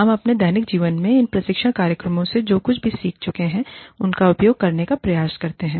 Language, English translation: Hindi, We try to use those, whatever we have learnt, in these training programs, in our daily lives